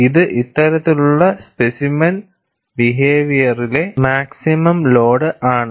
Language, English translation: Malayalam, This also happens to be the maximum load in this type of specimen behavior